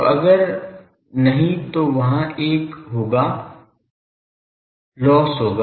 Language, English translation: Hindi, So, if not then there will be a mismatch there will be loss et c